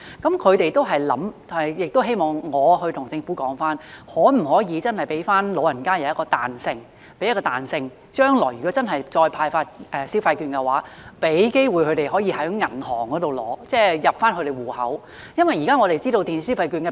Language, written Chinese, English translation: Cantonese, 我們知道電子消費券的平台提供不少優惠，所以我相信能鼓勵其他人使用電子消費券，但對於一些老人家而言，如果他們難以使用電子消費模式，向他們發放現金或存入其銀行戶口會是較好的模式。, We know that the platforms for electronic consumption vouchers have offered a lot of benefits . I thus believe they can encourage other people to use electronic consumption vouchers . However for some elderly people who may find it difficult to adopt the mode of electronic consumption handing out cash to them or depositing it into their bank accounts would be a better approach